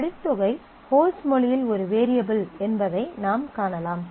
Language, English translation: Tamil, So, you can see that credit amount is a variable in the host language